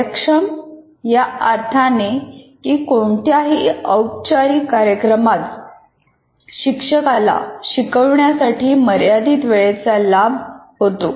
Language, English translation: Marathi, Efficient in the sense for in any formal program, there is only limited time available to a teacher when he is teaching a course